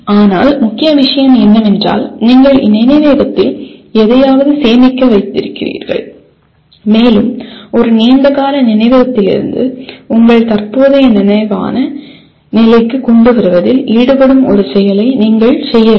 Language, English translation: Tamil, But the main thing is you have stored something in the memory and you have to perform an activity that will involve in bringing from a long term memory to your present conscious state